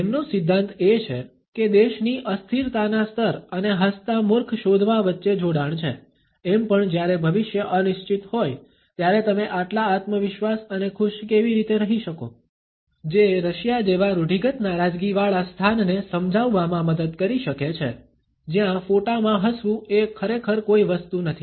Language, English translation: Gujarati, His theory is that there is a connection between a countries level of instability and finding smiling stupid, after all how can you be so confident and happy when the future is uncertain, that might help explain stereotypically frowny places like Russia, where smiling in photos is not really a thing